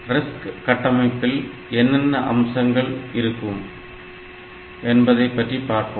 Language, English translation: Tamil, So, what are the RISC features it has